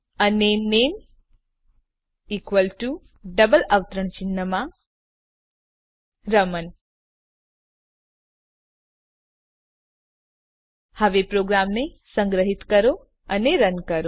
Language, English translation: Gujarati, And name equal to within double quotes Raman Now Save and Run the program